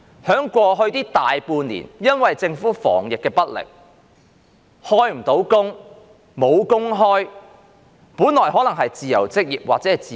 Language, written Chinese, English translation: Cantonese, 在過去大半年，由於政府防疫不力，很多人無法開工、沒有工作可做。, Over the past half year or so due to the Governments incompetence in fighting the epidemic many people have been unable to work or have gone out of jobs